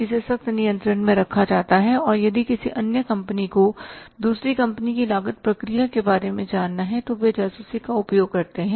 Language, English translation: Hindi, So, it is a confidential statement it is kept under a strict control and if any other company has to know about the costing process of the other company then they use the spying